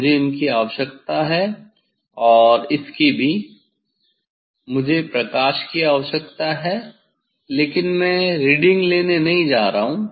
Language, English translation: Hindi, I need the I need the this one and also, I need light but, I am not going to take reading